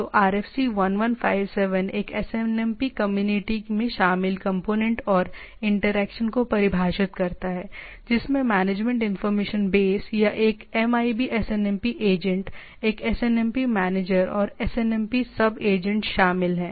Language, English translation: Hindi, So, RFC 1157 defines the component and interaction involved in a SNMP community which include management information base or a MIB SNMP agent, a SNMP manager, and there are SNMP subagent